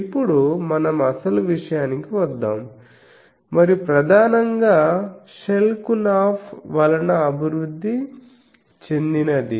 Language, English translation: Telugu, Now, let us come to actual point and that the development came mainly from Schelkunoff